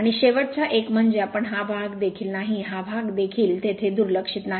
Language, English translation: Marathi, And last one is that we are this part is also not there this part is also not there neglected right